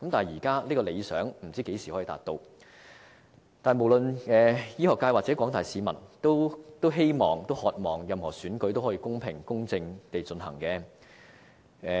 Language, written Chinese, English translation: Cantonese, 現在這個理想不知道何時才能達到，但無論是醫學界或廣大市民，都渴望任何選舉也可以公平、公正地進行。, Although it remains uncertain when this goal can be attained the medical sector and members of the general public strongly wish that all elections will be conducted in an equitable and fair manner